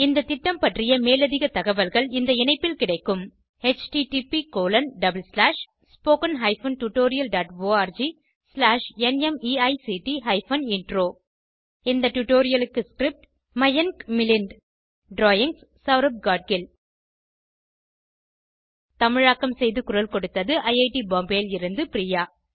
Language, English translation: Tamil, More information on this mission is available at http://spoken tutorial.org/NMEICT Intro The script is contributed and narrated by Mayank Milind, drawings by Saurabh Gadgil This is Mayank Milind signing off from IIT Bombay